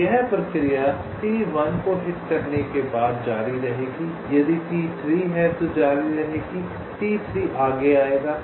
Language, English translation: Hindi, after you hit t one, if there is a t three, that t three will come next